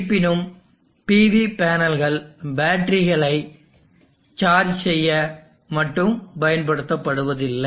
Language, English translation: Tamil, However, the PV panels are not used generally to only charge the batteries